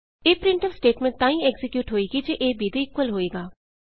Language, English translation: Punjabi, This printf statement executes when a is equal to b